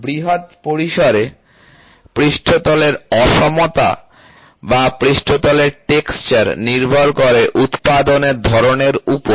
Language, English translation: Bengali, So, surface roughness or surface texture depends to a large extent on the type of manufacturing operation